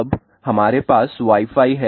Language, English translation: Hindi, Now, we have Wi Fi